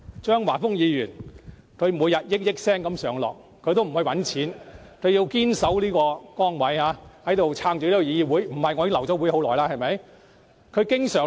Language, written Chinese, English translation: Cantonese, 張華峰議員每天數以億元上落，但他不去賺錢，堅決謹守崗位，支撐議會，否則早就流會了，對不對？, Despite having a stake in portfolios involving hundreds of millions of dollars in each move Mr Christopher CHEUNG opts not to make money in the financial market but shoulder his responsibility as a legislator and stay in the Council